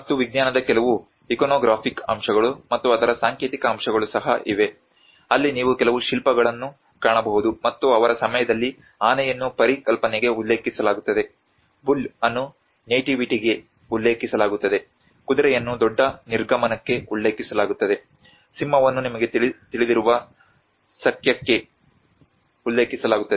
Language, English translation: Kannada, \ \ \ And there are also some iconographic aspects of science and symbolic aspects of it where you can find some sculpture as well where in their time elephant is referred to the conception, bull is referred to nativity, horse is referred to great departure, lion is referred to Sakya and Simha you know